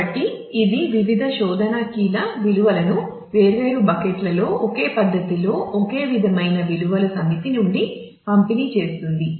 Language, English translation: Telugu, So, the ideal one would be which will distribute the different search keys values in different buckets in an uniform manner to the from the set of all possible values